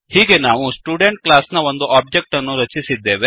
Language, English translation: Kannada, Thus, we have created an object of the Student class